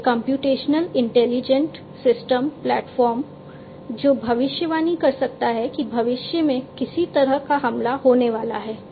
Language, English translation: Hindi, A computational intelligent system platform, which can predict if there is some kind of attack that is going to come in the future